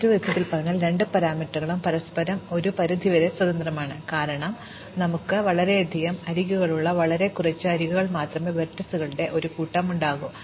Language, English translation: Malayalam, In other words, both parameters are somewhat independent of each other; because we could have the set of vertices with very few edges with very many edges